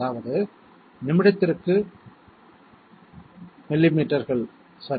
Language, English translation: Tamil, That is equal to 1 millimetre per minute, why so